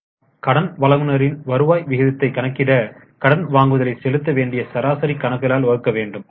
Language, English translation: Tamil, We also have creditors turnover ratio that is credit purchase upon average accounts payable